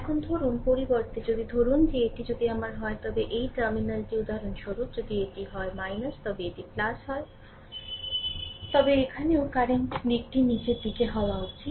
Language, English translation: Bengali, Now, suppose instead of that suppose if this is my if this terminal for example, if it is minus, if it is plus right, then here also current direction should be downward